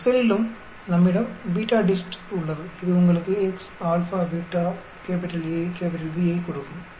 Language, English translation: Tamil, And also in your excel we have BETADIST, which gives you x, Alpha, Beta, A, B